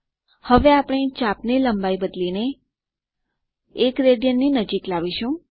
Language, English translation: Gujarati, We will now change the arc length to bring it closer to 1 rad